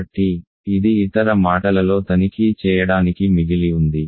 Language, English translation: Telugu, So, it remain to check in other words